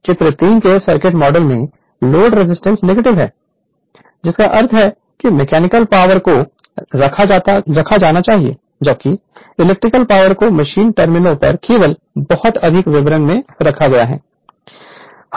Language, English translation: Hindi, The load resistance is negative in the circuit model of figure 3, which means that the mechanical power must be put in while electrical power is put out at the machine terminals only this much more details